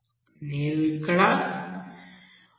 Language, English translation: Telugu, 5 here it is 1